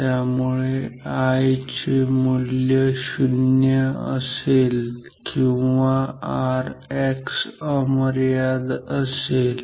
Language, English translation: Marathi, So, I will be 0 when R X is infinite